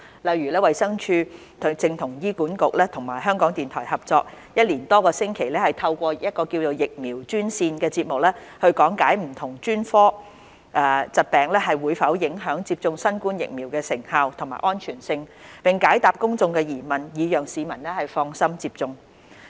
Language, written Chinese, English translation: Cantonese, 例如，衞生署正與醫院管理局和香港電台合作，一連多個星期透過"疫苗專線"節目講解不同專科疾病會否影響接種新冠疫苗的成效和安全性，並且解答公眾的疑問，以讓市民放心接種。, For example DH is now collaborating with the Hospital Authority and Radio Television Hong Kong for several weeks through the programme Vaccine Line to explain whether different illnesses will affect the effectiveness and safety of COVID - 19 vaccination . The programme also answers public enquiries so that members of the public would feel at ease about getting vaccinated